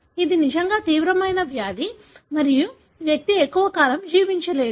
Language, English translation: Telugu, It is disease that is really, really severe and the person don’t survive long